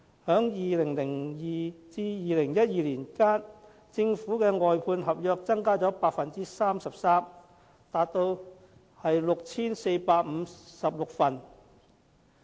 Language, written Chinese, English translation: Cantonese, 在2002年至2012年間，政府的外判合約增加了 33%， 達到 6,456 份。, From 2002 to 2012 the number of government outsourced contracts have increased by 33 % to 6 456